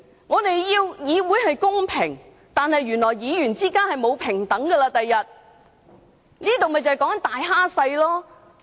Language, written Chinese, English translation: Cantonese, 我們要求議會公平，但原來議員之間，將來是不平等的，以大欺小。, We want fairness in the Legislative Council but there will be no equality among Members in the future; the powerful will suppress the weak